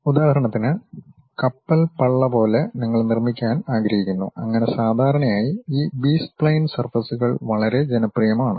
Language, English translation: Malayalam, For example, like ship hulls you want to construct and so on, usually these B spline surfaces are quite popular